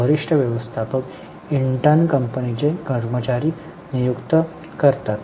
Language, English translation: Marathi, Senior managers intern appoint employees of the company